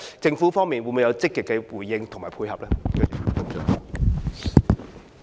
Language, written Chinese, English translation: Cantonese, 政府會否有積極的回應及配合呢？, Will there be any proactive responses and support from the Government?